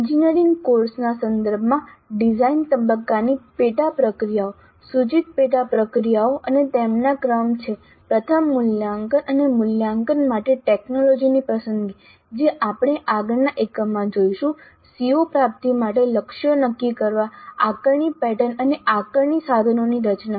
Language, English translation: Gujarati, So the sub processes of a design phase are now that in the context of an engineering course the proposed sub processes and their sequence are first selecting the technology for assessment and evaluation which we will see in the next unit, setting targets for CO attainment, designing the assessment pattern and assessment instruments